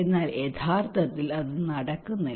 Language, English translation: Malayalam, But actually it is not happening